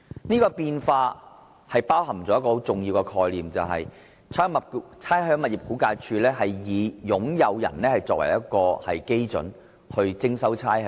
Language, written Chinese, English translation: Cantonese, 這變化包含一個很重要的概念，就是估價署以使用人而非以業主作為單位徵收差餉。, This change embodies a very important idea that RVD will charge the occupier of the tenement instead of the owner for rates